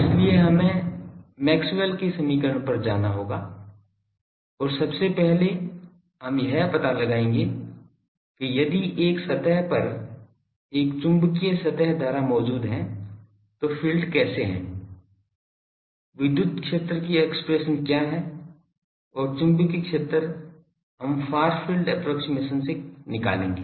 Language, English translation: Hindi, So, we will have to go to the Maxwell’s equation and first we will derive that if an magnetic surface current is present on a surface, how the fields, what is the expression of the electric field, and magnetic field then we will make the far field approximation go to the actual cases ok